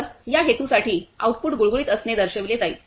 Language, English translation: Marathi, So, for this purpose, the output will be shown as a smooth